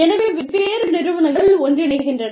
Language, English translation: Tamil, So, different firms, get together